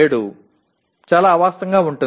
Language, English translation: Telugu, 7 will be very unrealistic